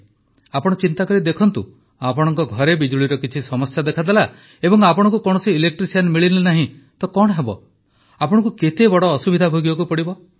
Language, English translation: Odia, Think about it, if there is some problem with electricity in your house and you cannot find an electrician, how will it be